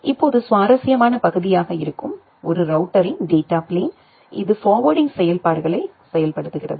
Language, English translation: Tamil, Now, the data plane of a router that is the interesting part, it implement the forwarding functionalities